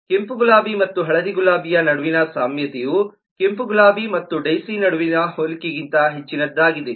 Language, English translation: Kannada, certainly the similarity between the red rose and the yellow rose is lot more than what it is between a red rose and a daisy